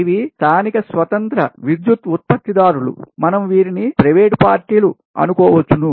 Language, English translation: Telugu, these are the local independent power producers, we assume the private parties